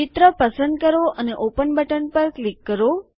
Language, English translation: Gujarati, Choose a picture and click on the Open button